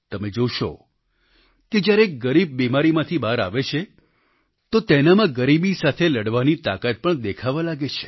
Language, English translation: Gujarati, You will see that when an underprivileged steps out of the circle of the disease, you can witness in him a new vigour to combat poverty